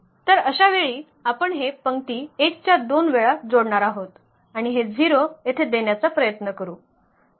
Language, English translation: Marathi, So, in this case we will try to set this to 0 here with two times the row 1 we will add and that will give us 0 here